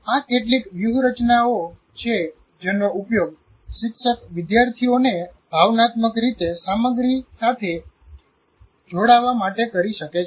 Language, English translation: Gujarati, There are some of the strategies teacher can use to facilitate students to emotionally connect with the content